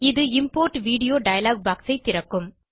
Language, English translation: Tamil, This will open the Import Video dialog box